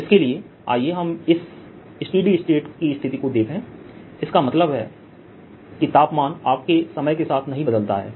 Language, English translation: Hindi, let's see this steady state situation that means the temperature doesn't change your time